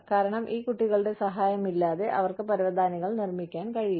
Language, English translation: Malayalam, Because, they cannot make the carpets, without the help of these children